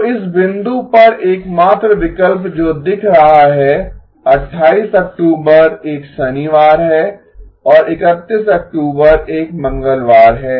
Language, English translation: Hindi, So the only options that seem at this point are October 28th is a Saturday and October 31st is a Tuesday